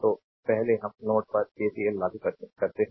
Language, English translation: Hindi, So, first what you do we apply KCL at node 1